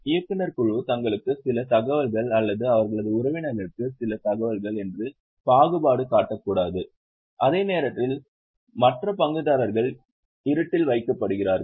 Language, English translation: Tamil, Board of directors should not do partiality, that they will have some information or their relatives will have some more information, while other stakeholders are kept in dark